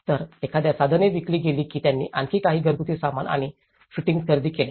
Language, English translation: Marathi, So, once the tools have been sold, they even bought some more household furnishings and fittings